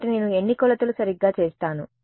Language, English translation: Telugu, So, how many measurements will I make right